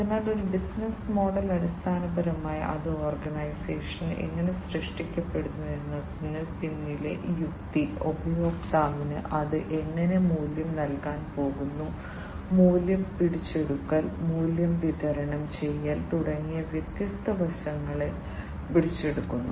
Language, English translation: Malayalam, So, a business model basically you know it captures the different aspects such as the rationale behind how the organization is created, how it is going to deliver value to the customers, capturing the value, delivering the value, and so on